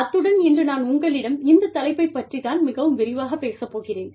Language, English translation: Tamil, And, this is what, i will talk about to you, in much greater detail, today